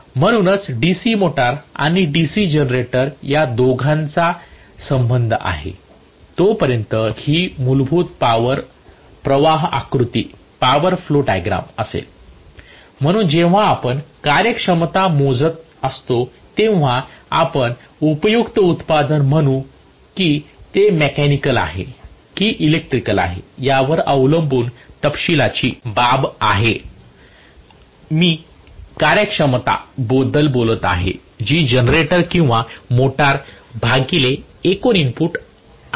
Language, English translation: Marathi, so this is going to be the basic power flow diagram as far as the DC motor and the DC generator both are concerned, so when you calculate the efficiency finally we will say useful output whether it is mechanical or electrical is a matter of detail depending upon whether I am talking about the generator or motor divided by total input this is what is the efficiency